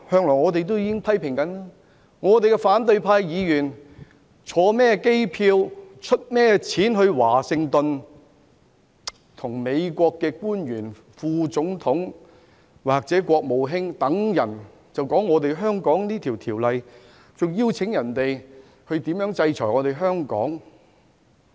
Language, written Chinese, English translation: Cantonese, 我們不知道反對派議員乘坐甚麼機位，用甚麼人的錢前往華盛頓，與美國的副總統或國務卿等官員討論香港的《條例草案》，還邀請別人制裁香港。, We wonder which airline opposition Members took and whose money they used when they flew to Washington DC to discuss the Bill of Hong Kong with officials such as the Vice President and the Secretary of State of the United States and even invited others to impose sanctions on Hong Kong